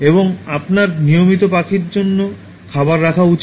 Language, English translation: Bengali, And you should also keep food for birds regularly